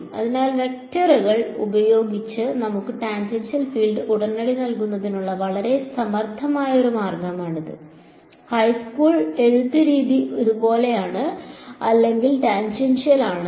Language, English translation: Malayalam, So, this is one very clever way of using vectors to give us the tangential field immediately, the high school way of writing it is like this, E 2 bracket x or E 2 bracket tangential